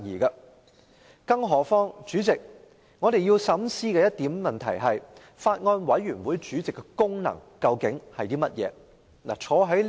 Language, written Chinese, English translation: Cantonese, 再者，代理主席，我們要深思一個問題，就是法案委員會主席的功能為何。, Besides Deputy President we have to ponder one question What are the functions of the Chairman of a Bills Committee?